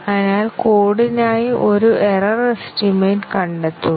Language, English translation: Malayalam, So, find an error estimate for the code